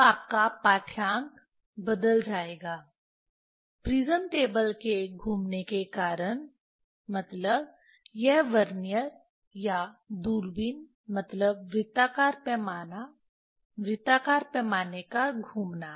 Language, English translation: Hindi, Now, your reading will change due to the rotation of either prism table means this Vernier or the telescope means the circular scale, rotation of the circular scale